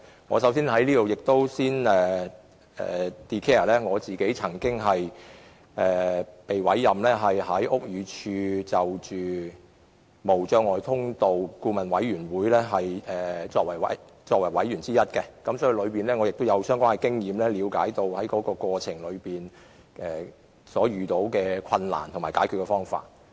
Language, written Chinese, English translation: Cantonese, 我在此先申報，我曾獲委任為屋宇署無阻通道諮詢委員會的委員，因此我有相關經驗，亦了解在過程中遇到的困難和有何解決方法。, Here I first declare that I was once appointed a member of the Advisory Committee on Barrier Free Access under the Buildings Department BD . So I have the relevant experience and I also understand the difficulties in the process and how they can be overcome